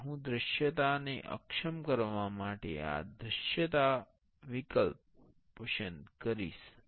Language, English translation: Gujarati, And I will select this visibility to disable the visibility